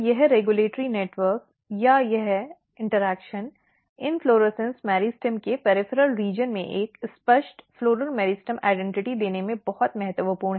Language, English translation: Hindi, So, this regulatory network or this interaction is very crucial in giving a clear floral meristem identity at the peripheral region of the inflorescence meristem